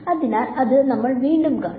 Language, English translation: Malayalam, So, that is again something we will see